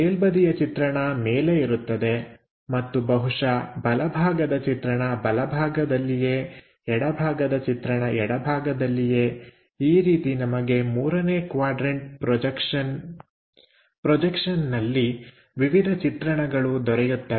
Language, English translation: Kannada, Top view will be on top and perhaps, right side view on the right hand side, left side view will be on the left hand side, this is the way we will get for 3rd quadrant systems